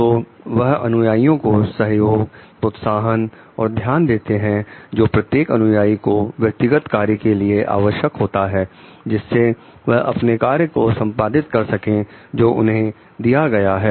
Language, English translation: Hindi, So, they give followers the support encouragement attention that is needed each of the followers individually the task to execute the task that is given to them